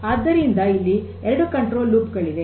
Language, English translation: Kannada, So, there are two types of control